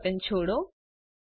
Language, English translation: Gujarati, Release the mouse button